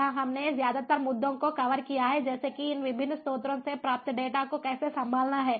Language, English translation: Hindi, here we have mostly covered issues such as how to handle the data that is received from this different sources